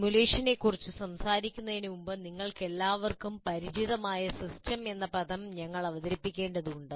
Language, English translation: Malayalam, Before we go talk about simulation, we have to introduce the word system with which all of you are familiar